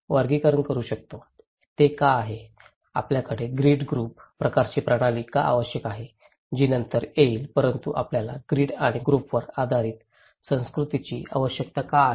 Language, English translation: Marathi, Why it is so, why we need to have grid group kind of system which will come later but why we need categories the culture based on grid and group